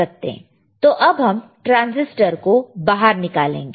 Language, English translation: Hindi, So, you can now take it out this transistor, all right